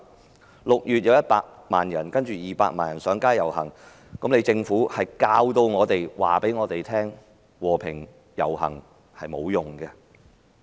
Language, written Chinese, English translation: Cantonese, 在6月，曾有分別100萬人及200萬人上街遊行，但政府卻教導我們和平遊行是沒有用的。, In June a million and two million people respectively took to the streets but the Government taught us the futility of peaceful processions